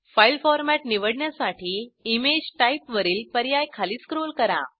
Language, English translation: Marathi, To select the file format, scroll down the options on the Image Type